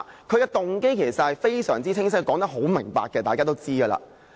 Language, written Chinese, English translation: Cantonese, 他的動機其實非常清晰，他說得很明白，這是大家也知道。, His motive is clear enough and he has also clearly explained the justifications . We all understand his motivation